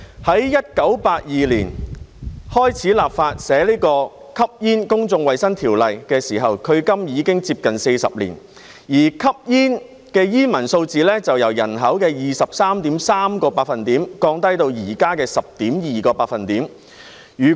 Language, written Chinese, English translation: Cantonese, 在1982年開始立法草擬《吸煙條例》的時候，距今已接近40年，而吸煙的煙民數字由人口的 23.3% 降低至現時的 10%。, It has been almost 40 years since the Smoking Ordinance was first drafted in 1982 and the number of smokers has dropped from 23.3 % of the population to 10 % at present